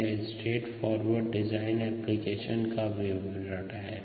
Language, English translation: Hindi, that's the straight forward design application